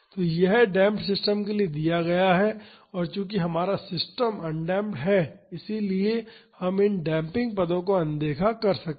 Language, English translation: Hindi, So, this is given for the damped system and since ours is an undamped system we can ignore this damping terms